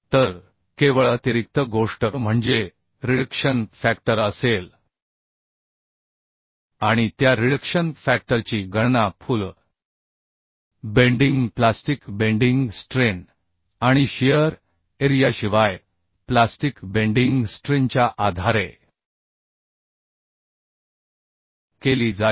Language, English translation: Marathi, So only additional thing will be the reduction factor, and that reduction factor will be calculated based on the the full bending strength for plastic bending strength and the plastic bending strength without shear shear area